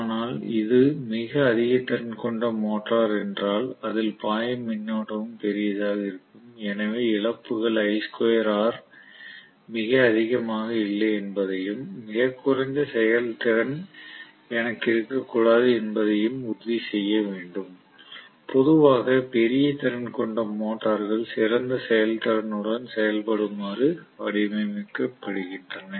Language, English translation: Tamil, But if it a very high capacity motor the current carried will also be large, so I have to make sure that I square r losses are not too high and I should not have very low efficiency, generally large capacity motors retain to design with a better performance